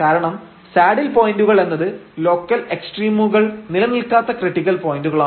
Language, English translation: Malayalam, So, because the saddle points are those critical points where the local extrema do not exists